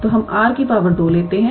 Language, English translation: Hindi, So, we take r square common